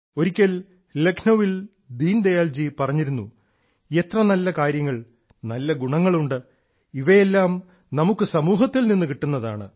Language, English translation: Malayalam, Once in Lucknow, Deen Dayal ji had said "How many good things, good qualities there are we derive all these from the society itself